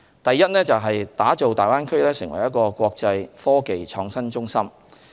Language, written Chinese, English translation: Cantonese, 第一是打造大灣區成為"國際科技創新中心"。, Firstly we strive to develop the Greater Bay Area into an international innovation and technology IT hub